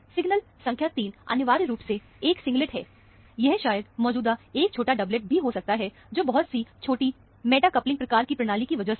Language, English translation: Hindi, Signal number 3 is essentially a singlet; it may be, a small doublet maybe present here, because of a very small meta coupling kind of a system